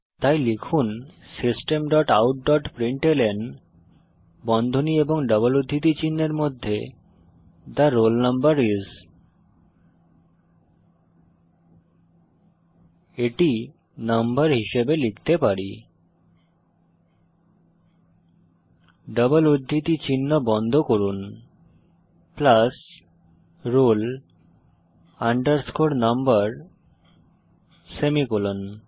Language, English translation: Bengali, So, type System dot out dot println within brackets and double quotes The roll number is we can type it as number is close the double quotes plus roll number semicolon